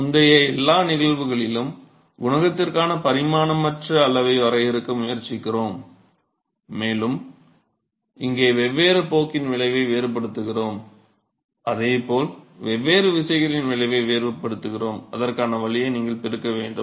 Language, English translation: Tamil, So, in all the earlier cases we attempt to define a dimensionless quantity for the coefficient and here we distinguish the effect of different course here and similarly we are going to distinguish the effect of different forces and the way to do that is you multiply it by the square of Reynolds number